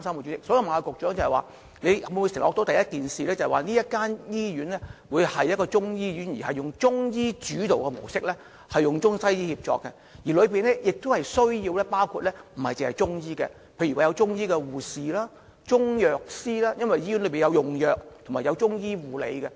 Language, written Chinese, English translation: Cantonese, 主席，局長可否承諾，首先，這間中醫醫院會以中醫主導及中西醫協作模式運作，除中醫外，當中亦需包括例如是中醫護士及中藥師，因為醫院需要用藥及中醫護理。, President can the Secretary undertake that this Chinese medicine hospital will adopt the ICWM model with Chinese medicine having the leading role? . Apart from Chinese medicine practitioners there must also be Chinese medicine nurses and Chinese medicine pharmacists because the hospital will need to prescribe Chinese medicine and provide Chinese medicine nursing care